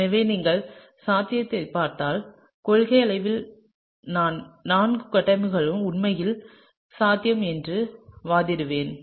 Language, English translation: Tamil, So, if you look at the possibility then in principle I would argue that all four structures are actually possible, right